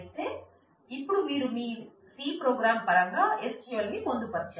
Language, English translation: Telugu, But now you have embedded the SQL in terms of your c program